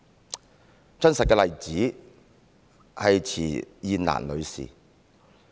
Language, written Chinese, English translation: Cantonese, 一個真實的例子是池燕蘭女士。, One real - life example is Ms CHI Yin - lan